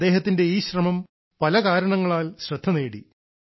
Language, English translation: Malayalam, This effort of his is different for many reasons